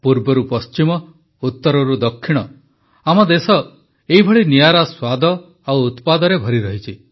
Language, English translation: Odia, From East to West, North to South our country is full of such unique flavors and products